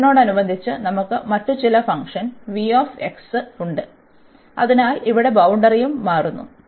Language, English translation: Malayalam, And the same thing, we have some other v 2 x function with respect to x, so that is boundary here also changes